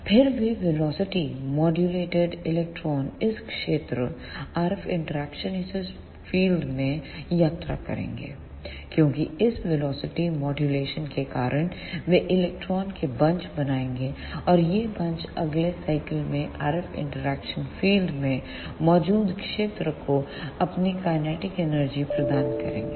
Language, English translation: Hindi, Then those velocity modulated electron will travel in this field RF interaction field, because of this velocity modulation, they will form bunches of electron and these bunches will give their kinetic energy to the field present in the RF interaction region in the next cycle